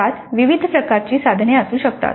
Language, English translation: Marathi, They can contain different types of items